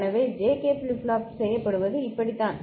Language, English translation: Tamil, So, this is how the JK flip flop is made right